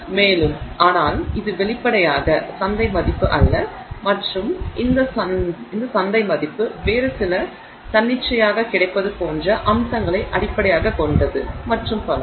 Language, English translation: Tamil, And but that apparently is not the market value for it and the market value is based on some other arbitrary aspects such as availability and so on